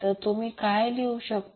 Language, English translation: Marathi, So, what you can write